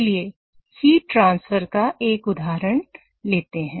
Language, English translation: Hindi, Let us take an example from heat transfer